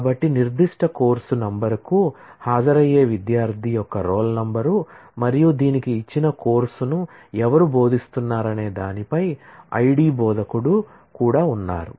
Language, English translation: Telugu, So, roll number of the student attending the particular course number and it also has an instructor I D as to who is teaching that course given this